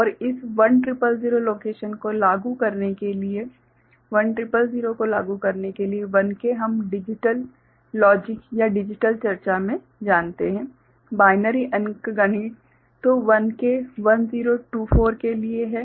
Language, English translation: Hindi, And to invoke this 1000 location so, 1000 1K we know in digital logic or digital discussion, binary arithmetic so, 1K stands for 1024